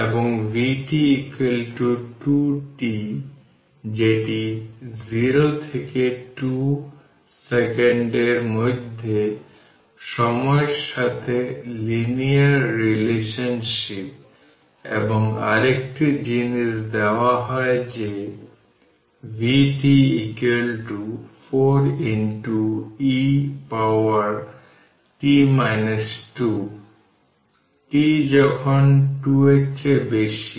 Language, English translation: Bengali, And when vt is equal to 2 t that will linear relationship with time in between 0 and 2 second right and your another thing is given that vt is equal to 4 into e to the power minus t minus 2, when t greater than 2